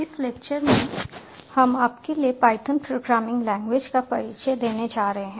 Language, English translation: Hindi, in this lecture we are going to introduce to you the language, the python programming language